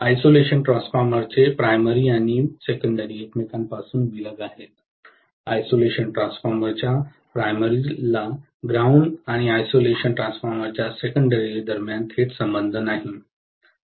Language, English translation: Marathi, The primary and secondary of the isolation transformer are isolated from each other, there is no connection directly between the ground of the primary of the isolation transformer and the secondary of the isolation transformer